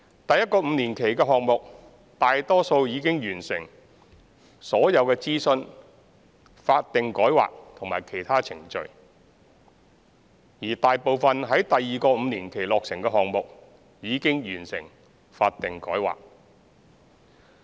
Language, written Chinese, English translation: Cantonese, 第一個5年期的項目大多數已經完成所有諮詢、法定改劃和其他程序，而大部分於第二個5年期落成的項目已經完成法定改劃。, For most projects within the first five - year period all the consultation statutory rezoning and other processes have been completed . As for those scheduled to be completed in the second five - year period the statutory rezoning of most projects has been completed